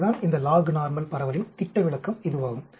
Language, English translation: Tamil, This is the standard deviation of this lognormal distribution